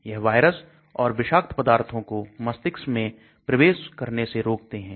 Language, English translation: Hindi, It prevents viruses, other toxin entering the brain